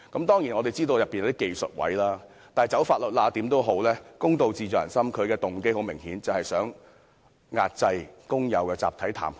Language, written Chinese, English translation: Cantonese, 當然，我們知道當中是有一些"走法律罅"的技術位，但公道自在人心，它的動機很明顯便是要壓制工友的集體談判權。, I recall that the Secretary had vowed to get to the bottom of it . Of course we understand that there are ways that make it technically possible for them to get around the law but justice lies in the peoples hearts and its motive was clearly to suppress the workers right to collective bargaining